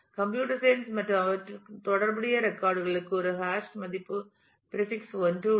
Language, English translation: Tamil, And computer science and finance the records corresponding to them has a hash value prefix 1